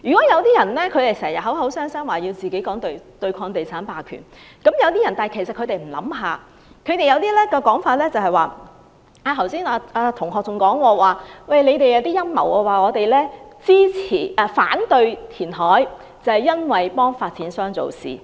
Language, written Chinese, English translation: Cantonese, 有些人經常說要對抗地產霸權，但其實他們有否想過，他們有些說法是......剛才朱同學提及某陰謀論，指反對填海是要偏袒發展商。, Some people always talk about fighting against real estate hegemony but have they considered that some of their views are Classmate CHU brought up the conspiracy theory saying that opposing reclamation is tantamount to favouring developers